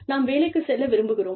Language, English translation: Tamil, We want to go to work